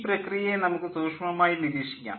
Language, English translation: Malayalam, lets take a closer look at this process